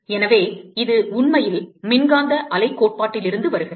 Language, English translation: Tamil, So, this actually comes from the electromagnetic wave theory